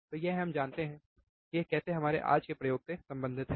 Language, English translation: Hindi, So, this we know, how it is related to our today’s experiment